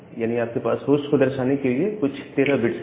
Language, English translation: Hindi, You can get a total of 13 bits to denote the host